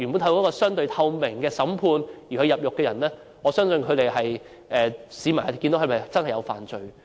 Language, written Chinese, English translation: Cantonese, 透過相對透明的審判而被判入獄的人，市民可以看到他們是否真的犯罪。, Members of the public can see for themselves if the persons who were sentenced to imprisonment after a relatively transparent trial had actually committed any crime